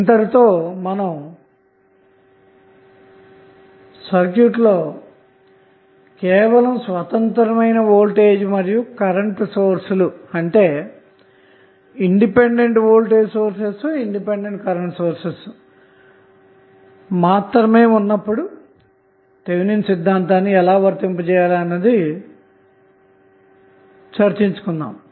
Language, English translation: Telugu, So we stop here with the initial discussion on the Thevenin Theorem when we considered only the independent voltage or current sources